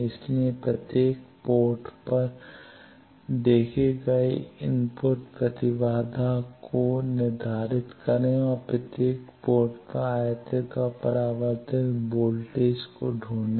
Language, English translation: Hindi, So, determine the input impedance seen at each port and find the incident and reflected voltages at each port